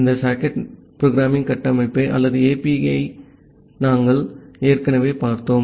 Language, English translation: Tamil, We have already looked this socket programming framework or the APIs